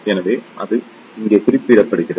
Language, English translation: Tamil, So, that is represented here